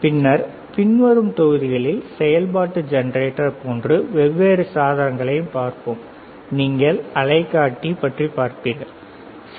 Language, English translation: Tamil, And then in following modules we will also see different equipment such as function generator, you will see oscilloscope, right